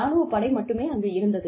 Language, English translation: Tamil, There was just an army base, there